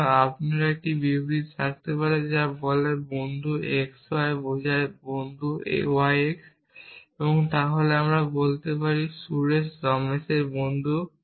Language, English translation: Bengali, So, you could have a statement which says friend x y implies friend y x essentially, then I could say Suresh is the friend of Ramesh